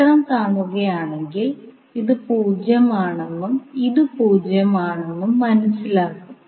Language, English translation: Malayalam, So that means if you see the figure this is 0 and this is again 0